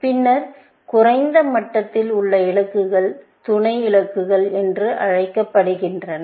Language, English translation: Tamil, At lower levels, these are sub goals